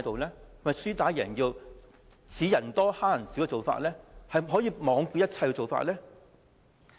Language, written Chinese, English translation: Cantonese, 是否輸打贏要，以人數多欺負人數少的做法，罔顧一切的做法呢？, Are they behaving like a sore loser bullying the minority when they are the majority and being regardless of all the consequences?